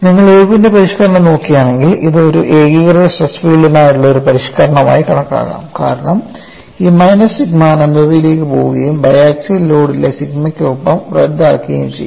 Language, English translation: Malayalam, If you look at Irwin modification, this could be considered as a modification for a uniaxial stress field, because this minus sigma will go to at infinity cancel with the sigma and the biaxial load